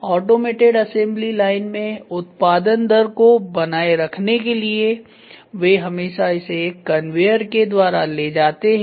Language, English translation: Hindi, In automated assembly line in order to maintain the production rate they always move it on a conveyor